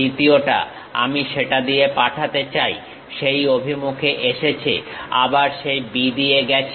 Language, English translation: Bengali, The second one I would like to pass through that, comes in that direction, again pass through that B